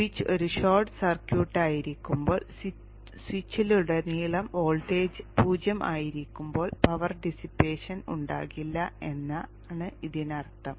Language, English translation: Malayalam, means that when the switch is a short circuit in that case the voltage across the switch is zero, there is no power dissipation